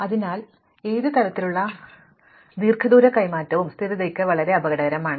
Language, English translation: Malayalam, So, any kind of long distance swapping is very dangerous for stability